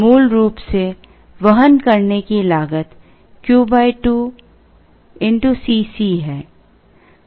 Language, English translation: Hindi, Carrying cost originally is Q by 2 into C c